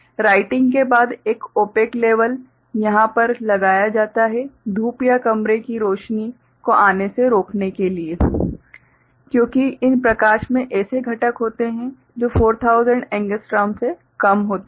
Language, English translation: Hindi, After writing an opaque label is put over here to prevent sunlight or room light coming in other because those light has components which is less than 4000 angstrom